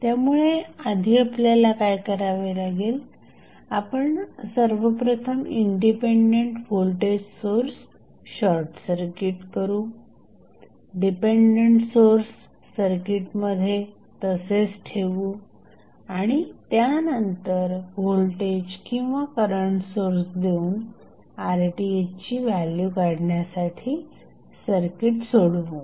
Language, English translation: Marathi, So, what we will do first, first we will short circuit the independent voltage source, leave the dependent source as it is in the circuit and then we connect the voltage or current source to solve the circuit to find the value of Rth